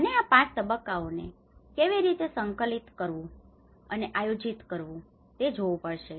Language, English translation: Gujarati, And this has to actually look at how these 5 stages and has to be coordinated and planned accordingly